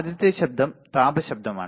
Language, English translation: Malayalam, The first noise is thermal noise